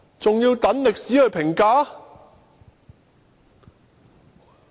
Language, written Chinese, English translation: Cantonese, 還要待歷史評價？, Why should we still let history be the judge?